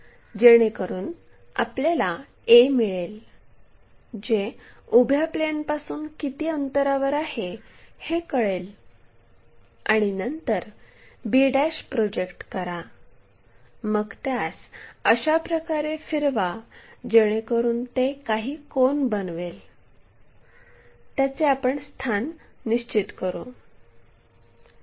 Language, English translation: Marathi, So, that we will get a how far it is in front of this vertical plane, then project b', then rotate it in such a way that whatever the angle it is made that we will locate it